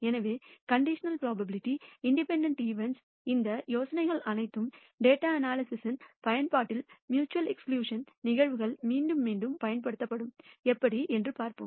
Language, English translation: Tamil, So, all these ideas of conditional probability independent events; mutually exclusive events will be repeatedly used in the application of data analysis and we will see how